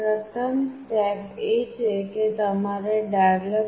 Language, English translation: Gujarati, First step is you have to go to developer